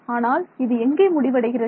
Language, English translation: Tamil, So, I mean it ends where it ends where